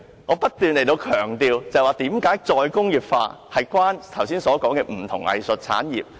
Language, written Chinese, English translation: Cantonese, 我不斷解釋為何"再工業化"與我剛才提及的不同藝術產業有關。, I have kept explaining why re - industrialization is related to the different arts industries mentioned by me just now